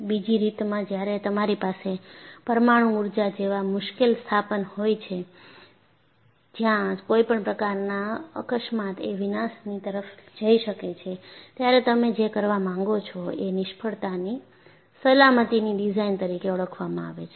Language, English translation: Gujarati, Another way of looking at is, when you are having difficult installations like nuclear power, where any accident can lead to catastrophe, you would like to invoke, what is known as Fail safe design